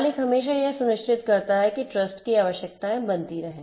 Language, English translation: Hindi, The owner always ensures that the requirements of trust are made